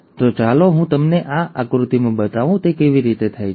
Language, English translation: Gujarati, So, let me show you in one figure exactly how it happens